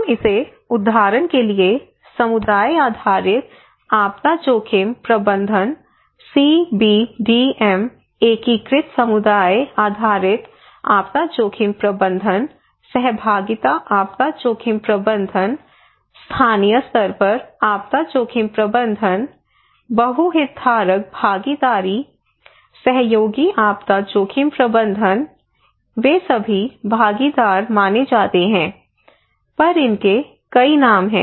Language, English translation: Hindi, We give it so many names for example community based disaster risk management CBDM, integrated community based disaster risk management, participatory disaster risk management, local level disaster risk management, multi stakeholder participations, collaborative disaster risk management they all are considered to be participatory, but they have a different name